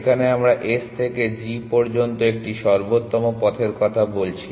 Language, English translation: Bengali, Here we are talking about an optimal path from S to G